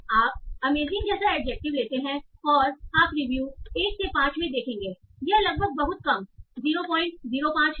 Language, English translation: Hindi, So you take an adjective like amazing and you will see okay in reviews 1 to 5,'s nearly very low 0